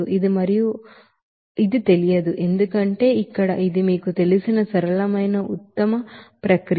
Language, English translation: Telugu, It is not known, because here this is a simple you know, best process